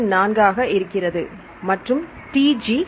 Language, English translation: Tamil, 34 and T G is 9